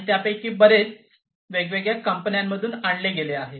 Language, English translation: Marathi, And many of them are in sourced from different companies and so on